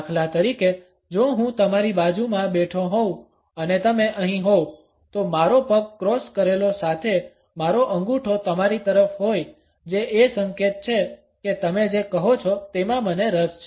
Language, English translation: Gujarati, For instance if I am sitting next to you and you are over here my leg is crossed with my toe pointed toward you that is a signal that I am interested in engaged in what you are saying